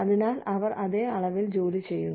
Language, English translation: Malayalam, So, they are putting in the same amount of the work